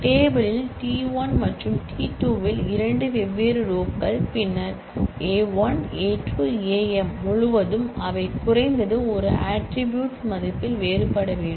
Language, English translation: Tamil, Two different rows in the table t1 and t2 then across A1, A2, Am they must differ in at least one attribute value